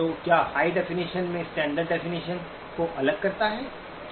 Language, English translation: Hindi, So what differentiates standard definition from high definition